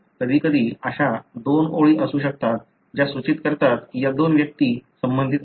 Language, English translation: Marathi, At times there could be two lines like this that would denote that these two individuals are related